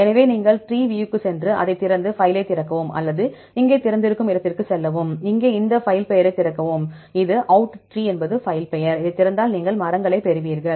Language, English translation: Tamil, So, you go to TreeView, open it, then open the file or go to the open here right, and here open this file name, here outtree is the filename, if you open this you will get the trees